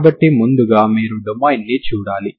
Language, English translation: Telugu, So first of all you have to see the domain